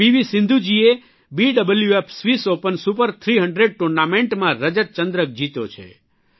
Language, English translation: Gujarati, Meanwhile P V Sindhu ji has won the Silver Medal in the BWF Swiss Open Super 300 Tournament